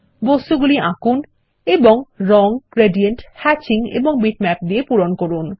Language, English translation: Bengali, Draw objects and fill them with color, gradients, hatching and bitmaps